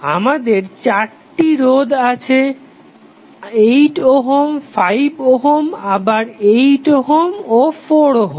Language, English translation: Bengali, So, we have four resistances of 8 ohm, 5 ohm again 8 ohm and 4 ohm